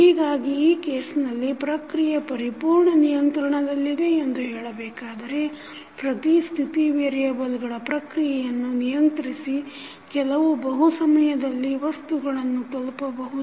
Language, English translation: Kannada, So, in that case the process is said to be completely controllable if every state variable of the process can be control to reach a certain object at multiple times